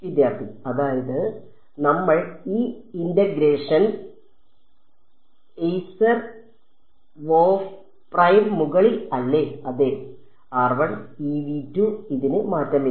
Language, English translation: Malayalam, Then we will ask the integration E over e c e r W of r prime right